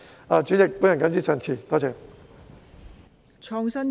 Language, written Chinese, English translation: Cantonese, 代理主席，我謹此陳辭，多謝。, Deputy President I so submit . Thank you